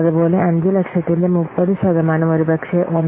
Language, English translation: Malayalam, Similarly, 30 percent of 5 lakhs, maybe 1